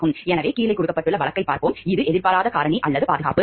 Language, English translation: Tamil, So, let us look into the case as given below, which is unanticipated factor or to safety